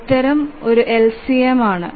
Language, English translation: Malayalam, So, the answer to that is LCM